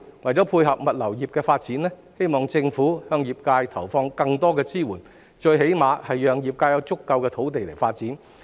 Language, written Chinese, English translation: Cantonese, 為配合物流業的發展，我希望政府向業界投放更多支援，最起碼為業界提供足夠的土地作發展。, I hope that to cater for the development of the logistics industry the Government will give the industry more support or at least provide sufficient land to the sector for development